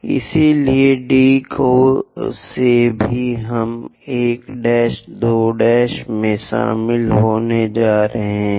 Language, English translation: Hindi, So, from D also we are going to join 1 prime, 2 prime